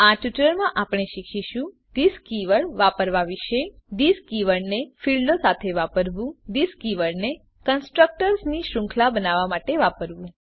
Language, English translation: Gujarati, In this tutorial we will learn About use of this keyword To use this keyword with fields To use this keyword for chaining of constructors